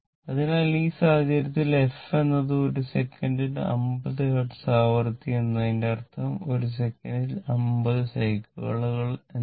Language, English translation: Malayalam, So that means, so in this case, the f is the number of cycles per second 50 hertz frequency means it is 50 cycles per second, right